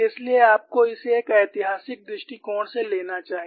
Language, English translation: Hindi, So, you must take this more from a historical perspective